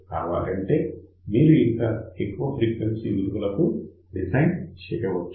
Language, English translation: Telugu, Of course, you can design for larger frequency values also ok